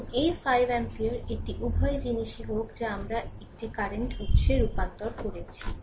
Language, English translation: Bengali, And this 4 ampere let it be at both the things we converted to a current source right